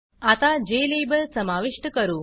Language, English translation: Marathi, Now let us add the Jlabel